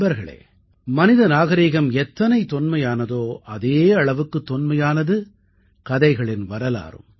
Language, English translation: Tamil, Friends, the history of stories is as ancient as the human civilization itself